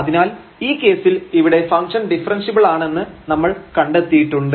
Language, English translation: Malayalam, So, in this case we have observed that this function is differentiable